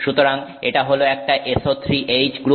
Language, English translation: Bengali, So, this is an SO3 H group